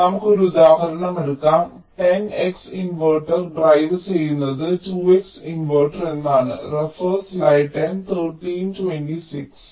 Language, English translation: Malayalam, so lets take an example: a ten x inverter driving a two x inverter means i have a large inverter which is driving a small inverter